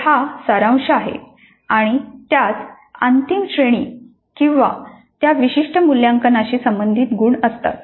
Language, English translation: Marathi, So it is summative and it has a final grade or marks associated with that particular assessment